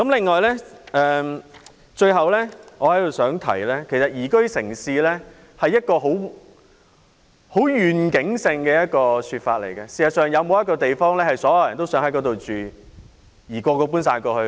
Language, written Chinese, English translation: Cantonese, 我最後想說，宜居城市是一個很有願景的說法，事實上，究竟有沒有一個地方是所有人也想搬往居住的呢？, Lastly I would like to point out that it is very visionary to talk about a liveable city . In fact after all is there any place where all people would like to reside in?